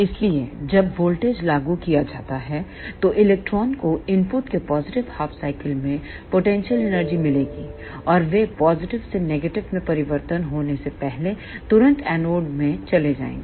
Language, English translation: Hindi, So, as the voltage applied then electron will get potential energy in the positive half cycle of the input, and they will move to the anode instantaneously before the input changes from positive to negative